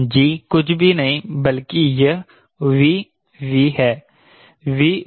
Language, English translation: Hindi, g is nothing but this